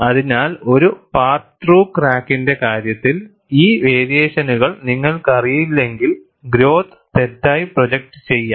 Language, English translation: Malayalam, So, in the case of a part through crack, if you do not know these variations, the growth could be wrongly predicted